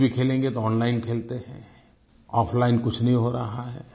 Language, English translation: Hindi, Even if we play games, we play them online; very little happens offline